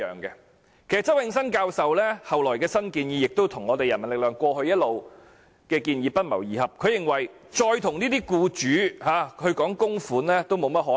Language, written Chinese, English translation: Cantonese, 其實，周永新教授後來提出的新建議，跟人民力量過去一直的建議不謀而合，他認為再跟僱主討論供款，已沒有甚麼可能。, In fact the new proposal subsequently put forward by Prof Nelson CHOW happened to coincide with what the People Power had all along suggested in the past . He considered that it was hardly possible to discuss contribution with the employers again